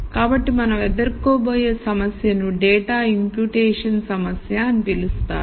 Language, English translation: Telugu, So, the problem that we are going to deal with is what is called the data imputation problem